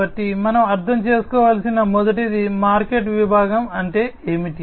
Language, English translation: Telugu, So, the first one that we should understand is what is the market segment